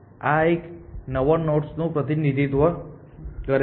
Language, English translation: Gujarati, So, this one represents that new nodes essentially